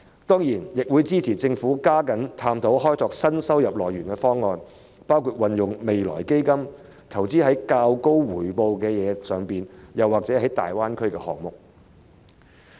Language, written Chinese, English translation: Cantonese, 當然，我亦會支持政府加緊探討開拓新收入來源的方案，包括把未來基金投資在較高回報的項目，或者粵港澳大灣區的項目等。, Certainly I will also support the Government to step up the study on plans for seeking new revenue sources including investing the Future Fund in projects with high returns or projects in the Guangdong - Hong Kong - Macao Greater Bay Area